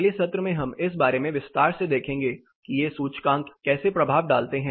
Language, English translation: Hindi, In the following session we will look more in detail about how this indices impact